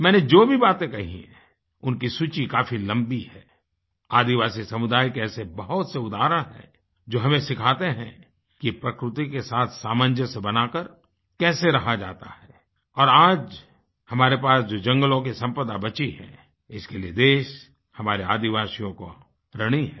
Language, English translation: Hindi, Besides whatever I have said, there is a very long list of examples of the tribal communities which teach us how to keep a close coordination and make adjustments with the nature and the nation is indebted to our tribal people for the forest land that is still remaining with us